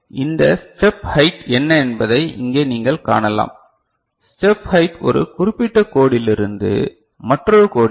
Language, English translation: Tamil, So, here what you can see that this step height is, step height is from here one a particular code to another